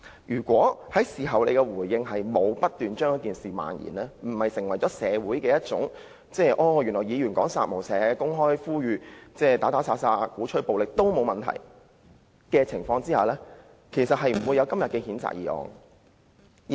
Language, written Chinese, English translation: Cantonese, 如果他透過事後的回應成功阻止事件漫延，以致社會不會覺得議員說"殺無赦"、公開鼓吹殺戮及暴力也沒有問題，毛議員今天便不會提出譴責議案。, Had he successfully prevented the incident from brewing through his responses in the aftermath and stopped the community from thinking that it was no big deal for a legislator to chant kill without mercy or preach extermination and violence in public Ms Claudia MO would not have moved this censure motion today